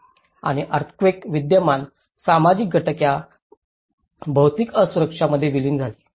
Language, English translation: Marathi, And in the earthquake, the existing social factors merged with these physical vulnerabilities